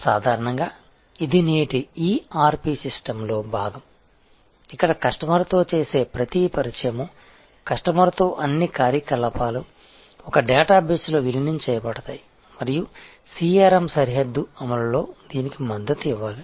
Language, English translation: Telugu, Usually this is part of today's ERP system, where the entire a every contact with the customer all activities with the customer are all the integrated into the same database and that is the one which must support this across boundary execution of CRM